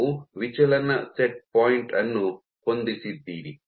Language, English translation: Kannada, So, you set a deflection set point